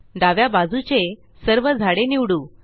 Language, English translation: Marathi, Let us select the left most tree